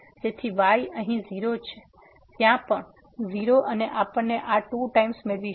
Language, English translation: Gujarati, So, will be set here 0; there also 0 and we will get this 2 times